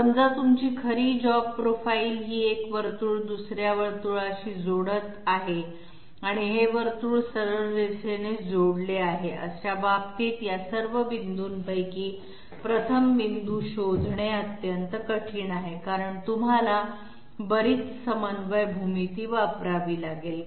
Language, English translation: Marathi, Suppose your actual job profile is this, one circle connecting up with another circle and this circle connecting up with a straight line in these cases it is extremely difficult to find out 1st of all these points because you would have to use you would have to use a lot of coordinate geometry calculations